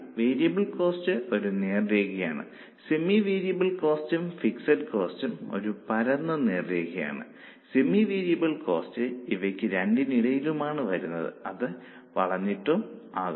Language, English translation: Malayalam, Variable cost is a straight line, same variable cost is a flat straight line, semi semi variable cost is somewhere in between